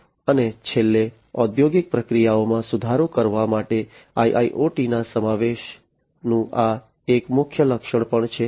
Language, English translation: Gujarati, And finally, the flexibility this is also a prime feature of the incorporation of IIoT for improving upon industrial processes